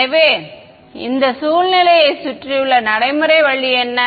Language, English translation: Tamil, So, what is the practical way around this situation